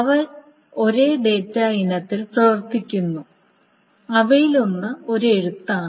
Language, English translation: Malayalam, They operate on the same data item and one of them is a right